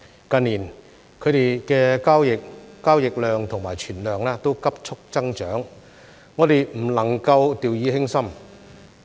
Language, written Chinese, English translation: Cantonese, 近年它們的交易量和存量急速增長，我們不能夠掉以輕心。, Their turnover and stock have grown rapidly in recent years so we cannot afford to be complacent